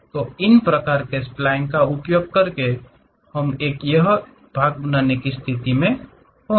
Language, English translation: Hindi, So, using these kind of splines one will be in a position to construct it